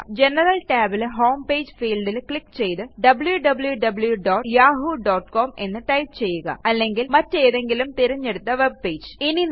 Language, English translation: Malayalam, In the General tab, click on Home Page field and type www.yahoo.com or any of your preferred webpage